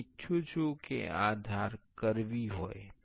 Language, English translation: Gujarati, I want these edges to be curvy